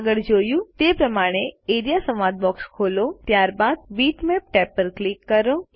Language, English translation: Gujarati, As seen earlier the Area dialog box opens, click on the Bitmaps tab